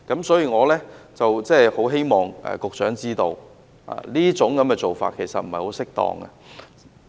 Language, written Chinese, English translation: Cantonese, 所以，我希望局長知道這樣做並不適當。, I thus wish the Secretary to know that this is inappropriate